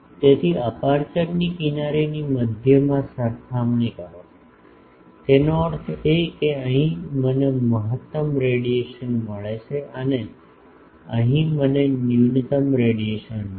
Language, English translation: Gujarati, So, compared to the centre the edges of the aperture; that means, here I get maximum radiation and here I get minimum radiation